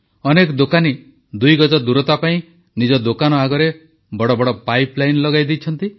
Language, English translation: Odia, Many shopkeepers in order to adhere to the two yard distancing have installed big pipe lines in their shops